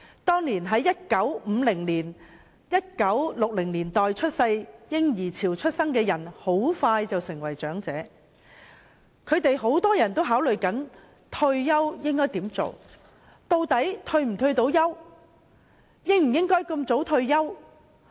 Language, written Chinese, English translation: Cantonese, 當年在1950、1960年代嬰兒潮出生的人士很快便成為長者，他們很多人都正在考慮以下問題：退休後應該做甚麼？, Baby boomers born in the 1950s and the 1960s will soon enter their old age and many of them are pondering the following questions What should I do upon retirement?